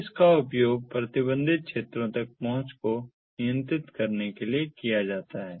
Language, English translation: Hindi, so it is used for controlling access to the restricted areas